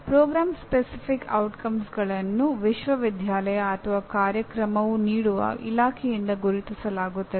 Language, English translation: Kannada, And Program Specific Outcomes identified by the university or the department offering the program